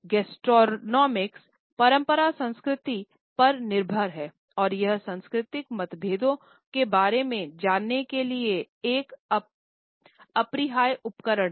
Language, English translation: Hindi, Gastronomic tradition is dependent on culture and it is an unavoidable tool for learning about cultural differences